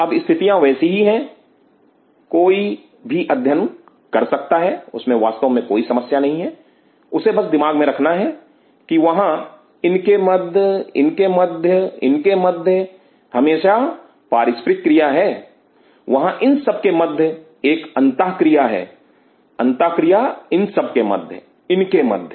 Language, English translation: Hindi, Now the things are that one can study that is really no problem, one has to keep in mind that there is always an interaction between this between this between this between this, there is an interaction between these ones, the interaction between these ones, these ones